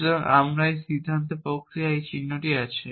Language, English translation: Bengali, So, we have this mark of decision processes and so on